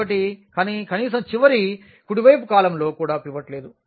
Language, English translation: Telugu, So, but, but at least the last the rightmost column also does not have a pivot